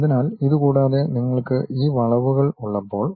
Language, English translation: Malayalam, So, other than that, when you have this curves